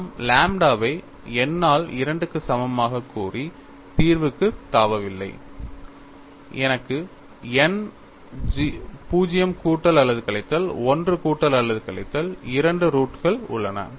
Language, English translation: Tamil, We are not just jumping into the solution by saying lambda equal to n by 2, and I have n 0 plus or minus 1 plus or minus 2 all roots